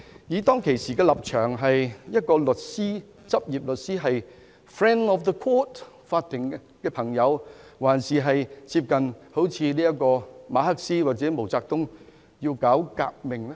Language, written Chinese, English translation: Cantonese, 他當時的立場究竟是執業律師、法庭的朋友，還是接近馬克思或毛澤東，要搞革命呢？, Was this the stance of a practising lawyer a friend of the court or was he like Karl MARX or MAO Zedong intent on staging a revolution?